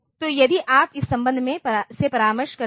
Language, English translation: Hindi, So, if you consult this relation